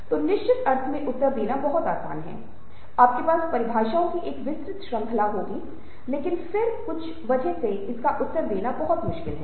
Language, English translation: Hindi, in a certain sense you will have a wide range of definitions, but then again, because of that, it is very difficult to answer